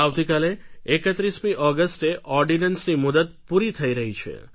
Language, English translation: Gujarati, Tomorrow, on August 31st the deadline for this ordinance ends